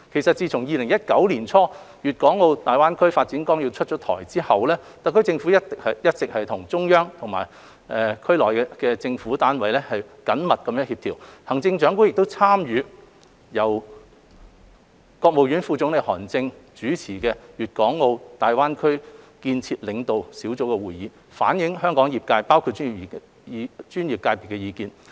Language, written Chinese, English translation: Cantonese, 自2019年年初《粵港澳大灣區發展規劃綱要》出台之後，特區政府一直與中央及區內政府單位緊密協調，行政長官亦參與由國務院副總理韓正主持的粵港澳大灣區建設領導小組會議，反映香港業界包括專業界別的意見。, Since the promulgation of the Outline Development Plan for the Guangdong - Hong Kong - Macao Greater Bay Area in early 2019 the HKSAR Government has been coordinating closely with the Central Authorities and government bodies in GBA . The Chief Executive has also participated in the meetings of the Leading Group for the Development of the Greater Bay Area chaired by the Vice Premier of the State Council Mr HAN Zheng to convey the views of various sectors in Hong Kong including the professional sectors